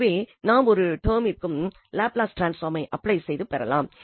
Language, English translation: Tamil, So, we can apply the Laplace transform here to each term and then we can get